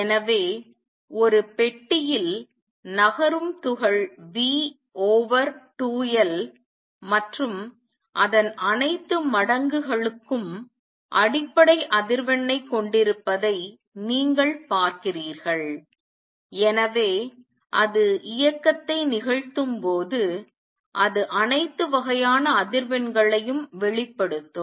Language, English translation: Tamil, Thus, you see that the particle moving in a box has the fundamental frequency V over 2 L and all its multiples and therefore, when it performs motion, it will radiate all kinds of frequencies